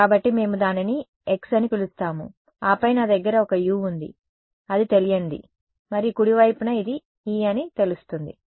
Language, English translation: Telugu, So, we are going to call it X and then I have a u which is an unknown and the right hand side is known which is e small e